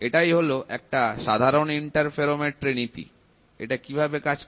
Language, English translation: Bengali, This is a typical interferometry principle, how does it work